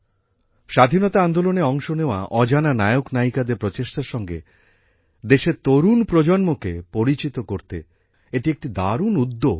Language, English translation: Bengali, This is a great initiative to acquaint the younger generation of the country with the efforts of unsung heroes and heroines who took part in the freedom movement